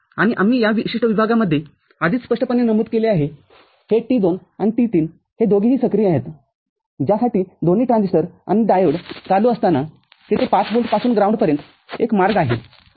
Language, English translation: Marathi, And we have already noted in this particular zone briefly, this T2 and T3 both of them are active, for which there is a path from 5 volt to ground when both the transistors are, and diode is on